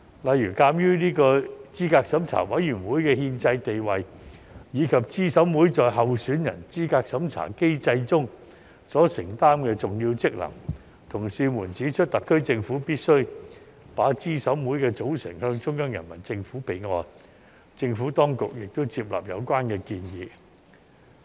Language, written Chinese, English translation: Cantonese, 例如，鑒於資審會的憲制地位及資審會在候選人資格審查機制中所承擔的重要職能，同事們指出特區政府必須把資審會的組成向中央人民政府備案，政府當局亦接納有關建議。, For example given the constitutional status of CERC and its important function under the candidate eligibility review mechanism my colleagues pointed out that the SAR Government must report the composition of CERC to the Central Peoples Government for the record and the Administration accepted the proposal